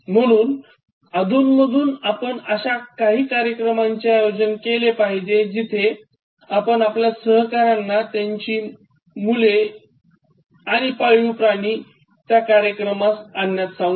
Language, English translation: Marathi, So, occasionally you should arrange for events, where you tell the colleagues to bring their children and pet animals